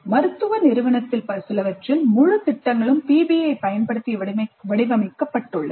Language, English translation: Tamil, Entire programs in medical profession have been designed using PBI in some institutes